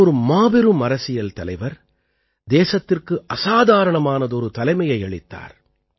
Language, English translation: Tamil, He was a great statesman who gave exceptional leadership to the country